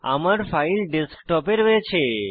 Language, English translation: Bengali, My file is located on the Desktop